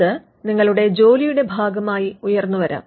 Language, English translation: Malayalam, Inventions could pop up as a part of your job